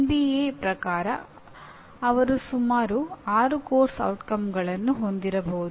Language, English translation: Kannada, As per NBA they should have about 6 course outcomes